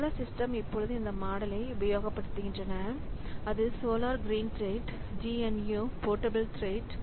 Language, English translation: Tamil, A few systems currently use this model like solar is green threads, GNU portable threads